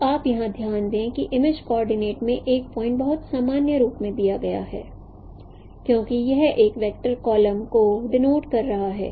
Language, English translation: Hindi, So you note here that a point in the image coordinate is given in a very general form as x, y, i, w i transpose because it is denoting a column vector